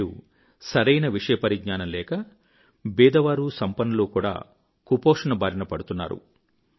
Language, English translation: Telugu, Today, due to lack of awareness, both poor and affluent families are affected by malnutrition